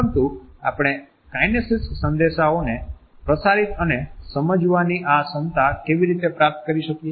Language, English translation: Gujarati, But, how do we acquire this capability to transmit and understand kinesic messages